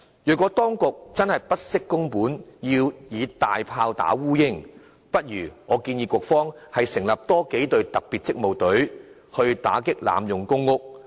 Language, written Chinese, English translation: Cantonese, 如果當局真的不惜工本，要以"大砲打烏蠅"，我建議局方倒不如多成立幾隊特別職務隊，打擊濫用公屋。, Should the authorities opt for taking a spear to kill a fly at all costs I suggest that they had better set up more special duty teams to tackle PRH tenancy abuse